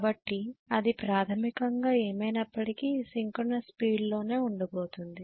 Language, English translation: Telugu, So you are going to have basically the speed to be at synchronous speed no matter what